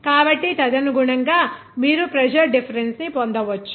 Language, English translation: Telugu, So, accordingly, you can get the pressure difference